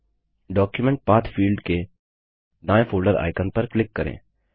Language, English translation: Hindi, Click on the folder icon to the right of the Document Path field